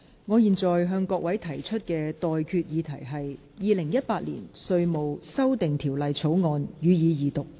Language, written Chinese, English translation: Cantonese, 我現在向各位提出的待決議題是：《2018年稅務條例草案》，予以二讀。, I now put the question to you and that is That the Inland Revenue Amendment Bill 2018 be read the Second time